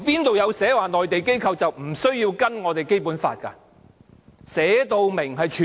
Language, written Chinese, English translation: Cantonese, 哪裏說內地機構是無須遵守《基本法》的？, Where is it stated that the Mainland authorities need not abide by the Basic Law?